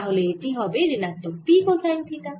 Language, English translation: Bengali, so this is going to be p cosine of theta